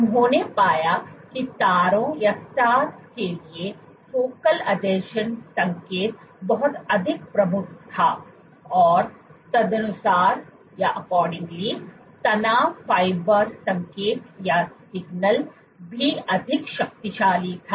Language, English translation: Hindi, What they found was focal adhesion signal was much more prominent for the stars, and accordingly the stress fiber signal was also much more potent